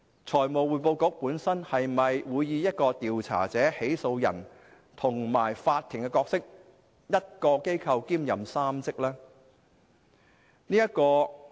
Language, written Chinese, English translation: Cantonese, 財務匯報局會否擔當調查者、起訴人和法庭的角色，即1個機構兼任3職？, Will the Financial Reporting Council FRC concurrently play the roles of the investigator prosecutor and the court?